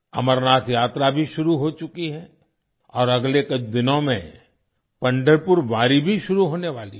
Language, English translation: Hindi, The Amarnath Yatra has also commenced, and in the next few days, the Pandharpur Wari is also about to start